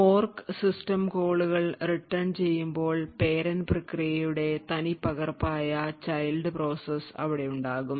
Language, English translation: Malayalam, So, thus when the fork system calls return, we have the child process which is exactly duplicate of the parent process